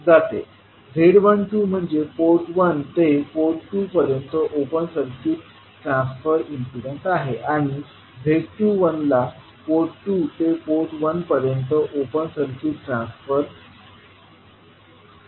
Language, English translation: Marathi, Z12 is open circuit transfer impedance from port 1 to port 2 and Z21 is called open circuit transfer impedance from port 2 to port 1